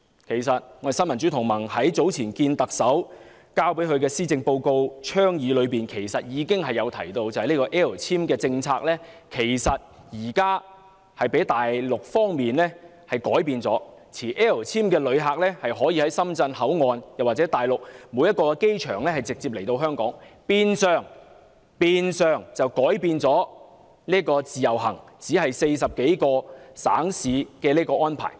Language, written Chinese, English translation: Cantonese, 其實，新民主同盟早前與特首會面提交施政報告的倡議時，已經指出 "L 簽"政策現時被大陸方面改變，致令持 "L 簽"的旅客可以在深圳口岸或大陸各個機場直接來香港，變相改變了自由行只限40多個省市的安排。, In fact some time ago when the Neo Democrats met with the Chief Executive to present proposals on the Policy Address we pointed out that the policy on L visa had already been altered by the Mainland . After the alteration L visa holders may enter Hong Kong directly through Shenzhen or various airports in the Mainland which has de facto changed the arrangement under the Individual Visit Scheme IVS where entry into Hong Kong is restricted to 40 - odd municipalities and cities